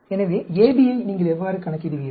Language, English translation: Tamil, So, how do you calculate AB